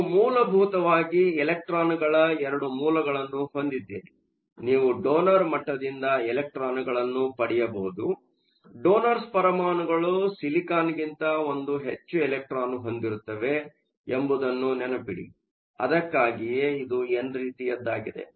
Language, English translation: Kannada, You have essentially 2 sources for the electrons; you can get the electrons from the donor level, remember the donor atoms each have 1 more electron than the silicon that is why it is an n type